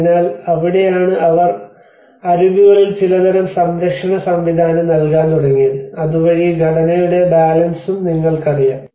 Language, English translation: Malayalam, So, that is where they started giving some kind of support system at the edges so that there is a you know the balance of the structure as well